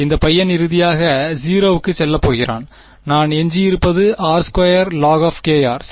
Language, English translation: Tamil, This guy is going to tend to 0 finally, what I am left with, r squared log k r right